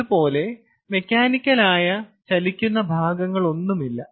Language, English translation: Malayalam, so there are no mechanical moving parts